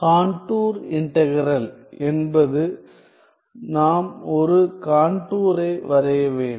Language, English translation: Tamil, The contour integral is we have to draw a contour